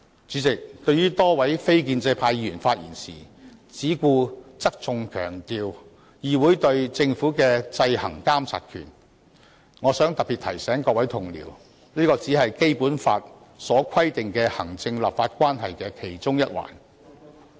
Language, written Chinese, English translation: Cantonese, 主席，對於多位非建制派議員發言時，只顧側重強調議會對政府的制衡監察權，我想特別提醒各位同事，這只是《基本法》所規定的行政立法關係的其中一環。, President in their speeches many non - establishment Members merely put emphasis on the Councils power to monitor the Government through checks and balances . In this respect I would like to particularly remind my Honourable colleagues that this is only one of the aspects of the executive - legislature relationship provided for in the Basic Law